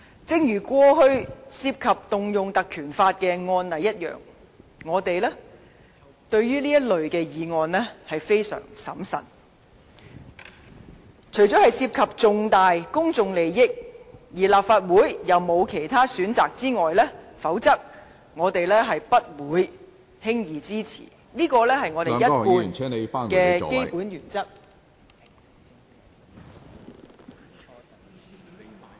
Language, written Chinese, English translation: Cantonese, 正如過往涉及運用《立法會條例》的案例，我們對於這類議案相當審慎，除了涉及重大公眾利益，而立法會又沒有其他選擇外，否則我們不會輕易支持，這是我們一貫的基本原則。, We are very cautious about such motions as with all previous cases which involved invoking the PP Ordinance . We will not support such motions unless significant public interest is involved and the legislature has no other alternative . This has been our long - standing principle